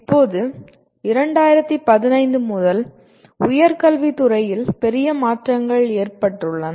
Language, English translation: Tamil, Now, since 2015 there have been major changes in the field of higher education